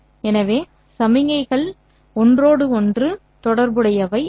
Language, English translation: Tamil, These are signals, therefore they will be uncorrelated